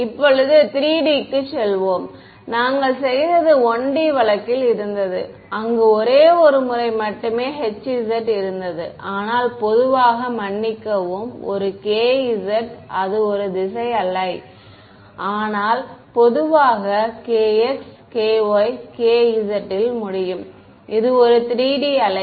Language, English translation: Tamil, Now, let us go to 3D ok, what we did was in a 1D case, where there was only one h z, but in general there will be sorry one k z right that is the wave in one direction, but in general there can be a k x, k y, k z right this is a wave in 3D ok